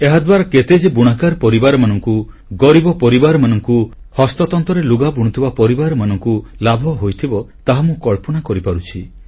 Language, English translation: Odia, I can imagine how many weaver families, poor families, and the families working on handlooms must have benefitted from this